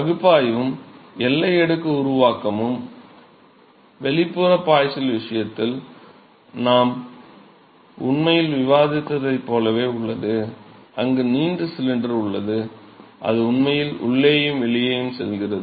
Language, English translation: Tamil, So, the analysis and the boundary layer formation is very similar to what we actually discussed in the external flows case where we have a long cylinder, we have a long cylinder which is actually going inside and outside the board and